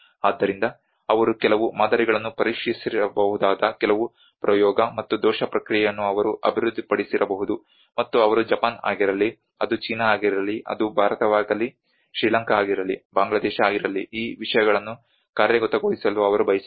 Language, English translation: Kannada, So even the aid agencies they might have develop certain trial and error process they might have tested certain models, and they want to implement these things whether it is Japan, whether it is China, whether it is India, whether it is Sri Lanka, whether it is Bangladesh